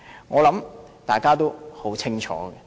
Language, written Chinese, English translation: Cantonese, 我想大家也很清楚。, I believe Members have a clear idea about all this